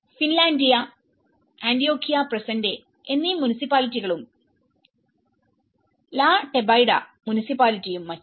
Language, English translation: Malayalam, The municipality of Finlandia and ‘Antioquia presente’, the municipality of La Tebaida and so on